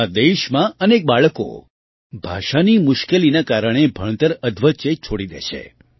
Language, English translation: Gujarati, In our country, many children used to leave studies midway due to language difficulties